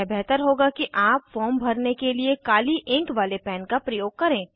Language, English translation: Hindi, It is preferable to use a pen with black ink to fill the form